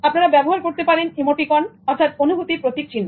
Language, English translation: Bengali, You can use emoticons